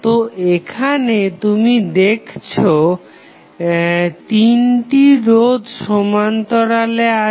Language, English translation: Bengali, So, here you will see all the 3 resistances are in parallel